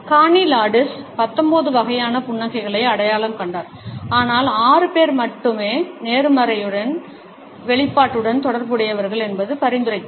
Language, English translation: Tamil, Carney Landis identified 19 different types of a smiles, but suggested that only six are associated with the expression of positivity